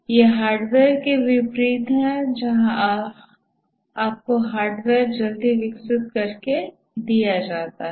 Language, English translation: Hindi, This is unlike hardware where you get the hardware quickly developed and given